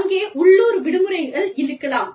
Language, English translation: Tamil, South Asian countries, there are local holidays